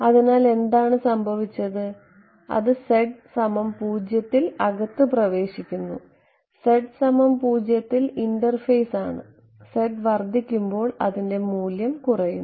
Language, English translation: Malayalam, So, what has happened is that it’s entered inside at z equal to 0 is the interface right at z equal to 0 is entered now as z increases its value decreases right